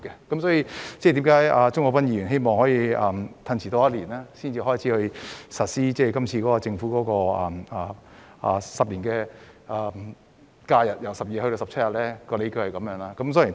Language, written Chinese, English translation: Cantonese, 因此，鍾國斌議員希望推遲一年才實施政府在10年內把假日由12天增至17天的計劃，他的理據就是如此。, Therefore Mr CHUNG Kwok - pan hopes that the Government can defer its plan to increase the number of holidays from 12 to 17 in 10 years for one year on this ground